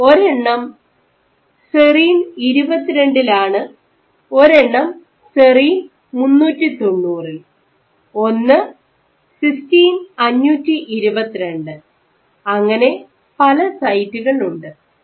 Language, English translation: Malayalam, So, including one at serine 22, one at serine 390, one at this is a sorry, this is a cysteine 522, here serine 390 and many others ok